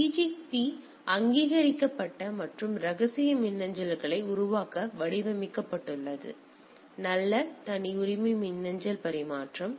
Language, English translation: Tamil, So, PGP designed to create authenticate and confidential emails right; so, pretty good privacy email transfer the PGP protocol is there